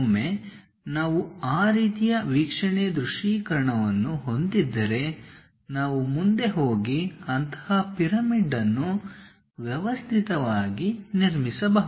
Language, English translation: Kannada, Once we have that kind of view visualization we can go ahead and systematically construct such pyramid